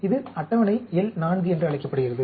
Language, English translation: Tamil, This is called the table L 4